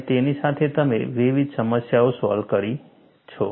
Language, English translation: Gujarati, And with that, you could solve a variety of problems